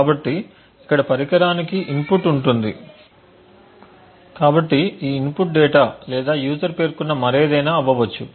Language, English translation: Telugu, So, there would be an input to the device over here so this input could be either say data or anything else which is specified by the user